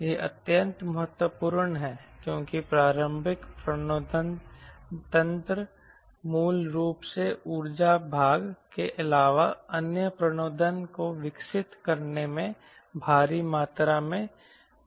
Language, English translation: Hindi, this is extremely important because there is huge amount of work going on in developing propulsion other than the conventional propulsion mechanism, basically the energy part of it